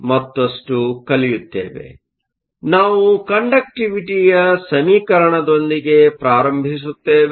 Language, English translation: Kannada, So, we start with the equation for conductivity